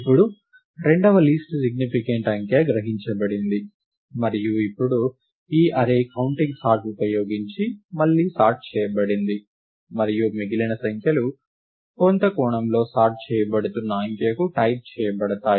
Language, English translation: Telugu, Now, the second least significant digit is picked up; and now, this array is sorted again using counting sort; and the remaining numbers in some sense are typed to the digit that is being sorted